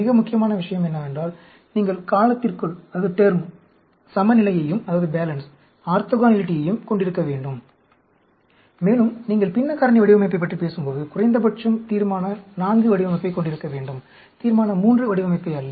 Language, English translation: Tamil, Most important thing is, you need to have balance and orthogonality into the term, and when you are talking about a fractional factorial design, you should have at least Resolution IV design, not Resolution III design